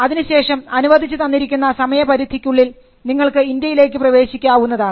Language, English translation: Malayalam, Now within the time period allowed, you can enter India